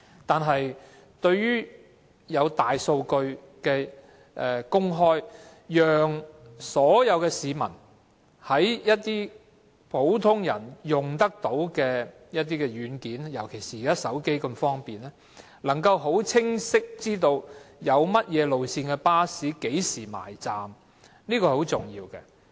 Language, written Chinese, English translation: Cantonese, 但是，對於公開大數據，讓所有市民能夠利用普遍使用的軟件——尤其是現時使用手提電話那麼方便——清晰知道甚麼路線的巴士何時到站，這是很重要的。, But with regard to opening up the Big Data to enable all members of the public to make use of popular software―especially as it is so convenient to use mobile phones nowadays―to clearly find out the arrival time of a bus of a certain route this is very important